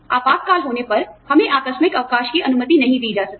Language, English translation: Hindi, We cannot be permitted casual leave, when there is emergency